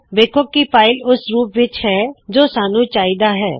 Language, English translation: Punjabi, See that the file is in the form we want